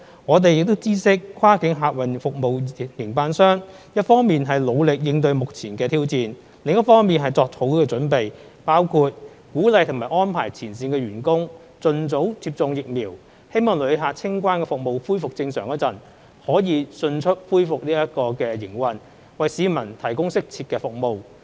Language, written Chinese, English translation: Cantonese, 我們知悉跨境客運服務營辦商一方面努力應對目前挑戰，另一方面作好準備，包括鼓勵和安排前線員工盡早接種疫苗，希望旅客清關服務恢復正常時，可以迅速恢復營運，為市民提供適切的服務。, We have learnt that while enduring the challenging times at present the cross - boundary passenger transport operators have been making full preparations including encouraging and arranging their frontline staff to receive vaccination early with a view to ensuring that they can promptly resume operation to provide needed services to the public when passenger clearance services return to normal